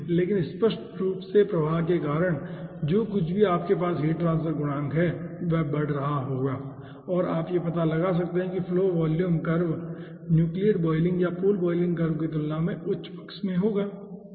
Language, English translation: Hindi, but obviously due to the flow, whatever you are having, heat transfer coefficient will be increasing and you can find out that flow volume curve will be ah in the higher side in compare than to the nucleate boiling or pool boiling curve